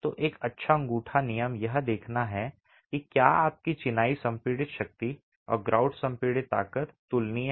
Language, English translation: Hindi, So, a good thumb rule is to see if your masonry compressive strength and the grout compressive strength are comparable